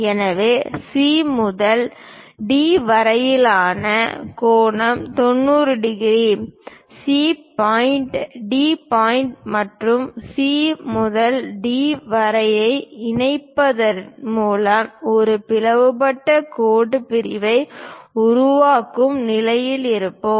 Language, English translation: Tamil, So, the angle from C to D is 90 degrees; by constructing C point, D point, and joining lines C to D, we will be in a position to construct a bisected line segment